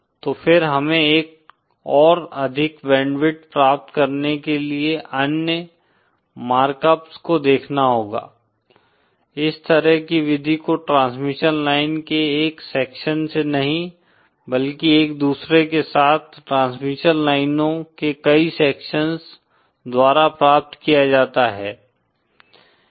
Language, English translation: Hindi, so then we have to look to other mark ups to obtain an even higher band width, such a method is obtained not by one section of transmission line but many sections of transmission lines cascaded with each other